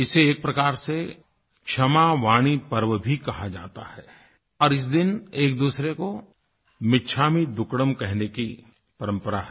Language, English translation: Hindi, It is also known as the KshamavaniParva, and on this day, people traditionally greet each other with, 'michhamidukkadam